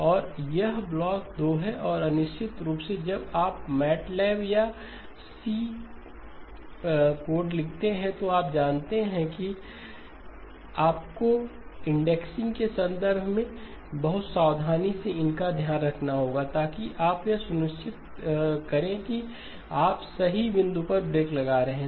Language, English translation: Hindi, And this is block 2 and of course when you write code in matlab or C you know that you have to be, you have to take care of it very carefully in terms of the indexing so that you do not make sure that you are breaking at the correct point